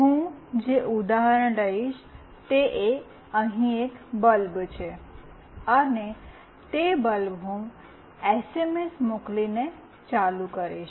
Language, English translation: Gujarati, The example that I will be taking here is a bulb, and that bulb I will switch on by sending an SMS